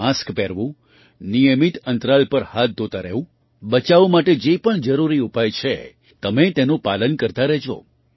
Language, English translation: Gujarati, Wearing a mask, washing hands at regular intervals, whatever are the necessary measures for prevention, keep following them